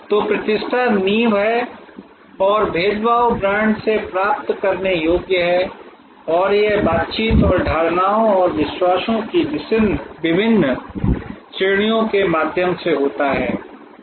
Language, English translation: Hindi, So, reputation is the foundation and differentiation is the deliverable from brand and that happens through various categories of interactions and perceptions and believes